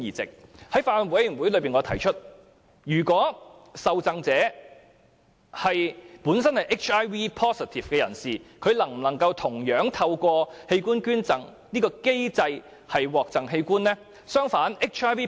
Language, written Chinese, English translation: Cantonese, 就此，我曾在法案委員會會議上提出，若受贈者本身是 HIV-positive 人士，他能否同樣透過器官捐贈機制獲贈器官呢？, On this arrangement I once asked in a Bills Committee meeting whether an HIV - positive recipient could likewise receive an organ through this donation mechanism